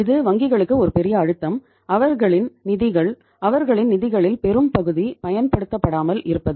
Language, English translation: Tamil, This is a big pressure on the banks that their funds sometime large chunk of their funds remain unused